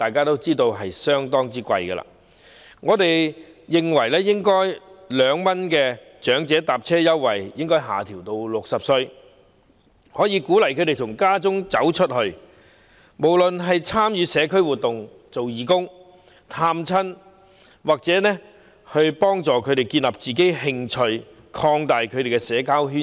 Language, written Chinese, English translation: Cantonese, 因此，我們認為應該將2元長者乘車優惠的合資格年齡下調至60歲，鼓勵他們從家中走出去，參與社區活動、做義工、探訪親友，藉此幫助他們建立自己興趣和擴大其社交圈子。, For this reason we consider that the eligibility age for the 2 concessionary elderly fare should be lowered to 60 so as to incentivize them to go out from home to take part in community activities and voluntary services and visit friends and relatives thereby helping them develop their hobbies and enlarge their social circles